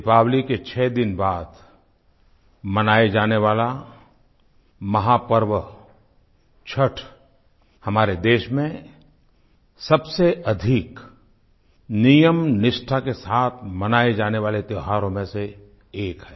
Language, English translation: Hindi, The mega festival of Chatth, celebrated 6 days after Diwali, is one of those festivals which are celebrated in accordance with strict rituals & regimen